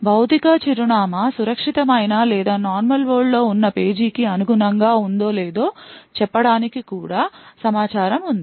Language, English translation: Telugu, Further it also has information to say whether the physical address corresponds to a page which is secure or in the normal world